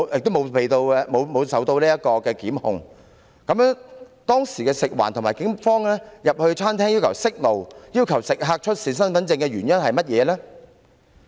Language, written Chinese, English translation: Cantonese, 那麼，食環署人員或警方當時進入餐廳，要求員工關上煮食爐，並要求食客出示身份證的原因是甚麼？, Then why did FEHD staff or police officers enter the restaurant that day and ask the shop assistants to turn off all cooking stoves and order diners there to produce their identity cards?